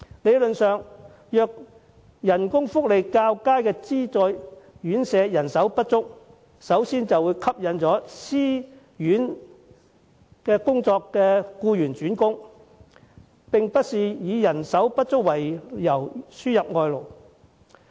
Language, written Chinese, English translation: Cantonese, 理論上，工資福利較佳的資助院舍如有空缺，會吸引私營院舍工作的僱員轉工，無需以人手不足為由輸入外勞。, Theoretically subvented homes with better pay and benefits will attract employees from private homes to fill their job vacancies making it unnecessary to import labour under the pretence of manpower shortage